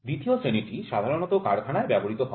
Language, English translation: Bengali, Grade 2 is generally used in the workshop